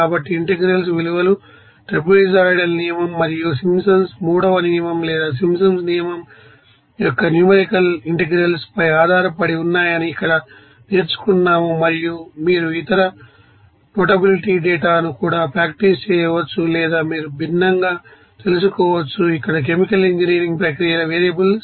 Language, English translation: Telugu, So, we have learned here how to calculate that you know integral values are based on that you know numerical integration proceed ur of trapezoidal rule and Simpsons on third rule or Simpsons rule simply and you can also have practice other you notability data, or you can find out that differently, you know that variables of chemical engineering processes like here 1 problem